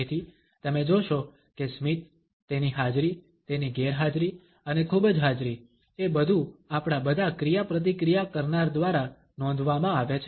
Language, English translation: Gujarati, So, you would find that the smile, its presence, its absence, and too much presence are all noted by all our interactants